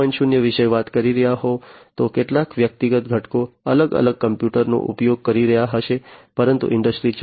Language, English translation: Gujarati, 0, some individual components might be using separate computers separately, but in the Industry 4